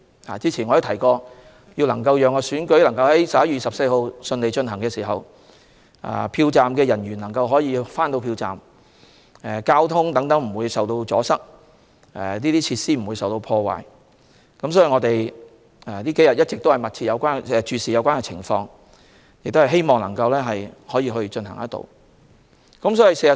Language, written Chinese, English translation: Cantonese, 我早前提過，要讓選舉如期在11月24日順利舉行，票站人員需要準時抵達票站，交通也要不受阻塞，設施不被破壞，因此，這數天我們一直密切注視有關情況，希望可以如期舉行選舉。, I have mentioned earlier that if the Election is to be held on 24 November as scheduled the polling station staff must be able to arrive at the polling stations on time the traffic should not be obstructed and the facilities should not be vandalized . We have been closely monitoring the relevant situation these few days and we hope that the Election can be held as scheduled